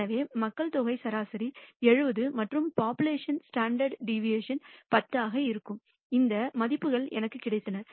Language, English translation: Tamil, So, the population mean is 70 and the population standard deviation is 10 and I got these values